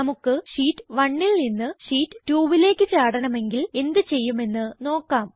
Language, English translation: Malayalam, Lets say we want to jump from Sheet 1 to Sheet 2